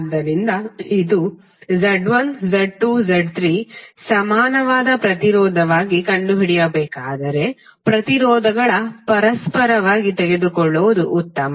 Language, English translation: Kannada, So if it is Z1, Z2, Z3 the equivalent impedance if you have to find out it is better to take the reciprocal of impedances